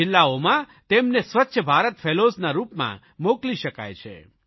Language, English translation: Gujarati, They can also be sent to various districts as Swachchha Bharat Fellows